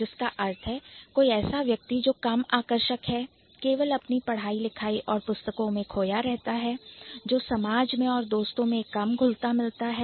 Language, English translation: Hindi, So, somebody who is less attractive, only into his reading books and academic stuff, doesn't socialize, also doesn't have many friends